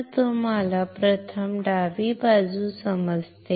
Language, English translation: Marathi, So, you understand first the left side